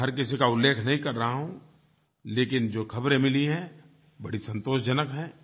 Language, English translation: Hindi, I am not mentioning about everyone here, but the news that has been received is highly satisfying